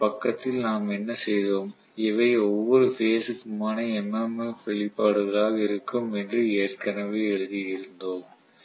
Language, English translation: Tamil, So what we did in the previous page, we had already written that these are going to be the MMF expressions corresponding to each of the phases